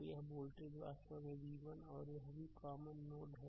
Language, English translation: Hindi, So, this voltage actually v 1 and this is also a common node